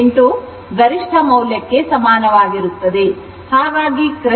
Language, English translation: Kannada, 707 into maximum value, that is actually 1